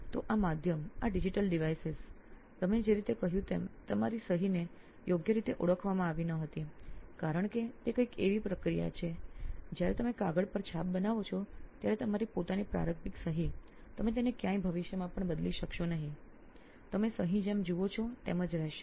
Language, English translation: Gujarati, so this medium this digital devices whichever whatever you said like your signature was not being recognised properly is because that is something that is processed, whenever you make an impression on the paper you will have your own initial signature you will not get it anywhere changed in the future as well, you see the signature it will be there as it is